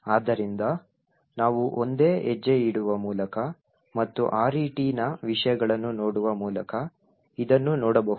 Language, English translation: Kannada, So, we can see this happening by single stepping and looking at the contents of RET